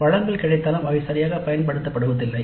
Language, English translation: Tamil, Even though resources are available they are not utilized properly